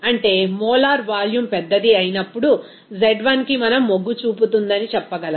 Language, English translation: Telugu, That means as the molar volume becomes large, we can say that z will tend to 1